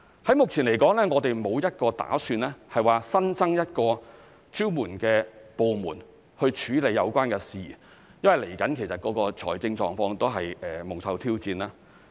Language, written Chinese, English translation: Cantonese, 在目前來說，我們沒有打算新增一個支援的部門處理有關事宜，因為未來的財政狀況亦蒙受挑戰。, At present we have no plans to create an additional supporting department to deal with the matter because the financial conditions in the future will be met with challenges